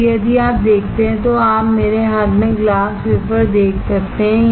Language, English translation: Hindi, Now, if you see, you can see the glass wafer in my hand